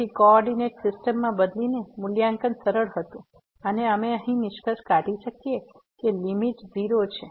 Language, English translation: Gujarati, So, by changing to the coordinate system, the evaluation was easy and we could conclude now that the limit is 0